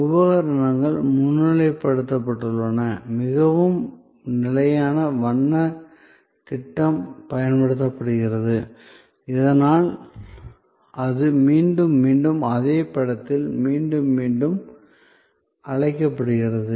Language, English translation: Tamil, The equipment is highlighted, a very standard colors scheme is used, so that it invokes again and again and again in the same in image